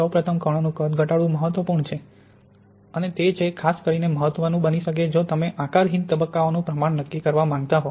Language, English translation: Gujarati, First of all, it is important to minimize the particle size and it is particularly can be important if you want to quantify the amorphous phase